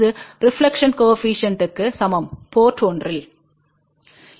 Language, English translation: Tamil, This is the same thing as reflection coefficient at port 1